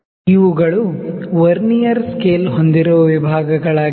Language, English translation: Kannada, So, these are the divisions which our Vernier scale has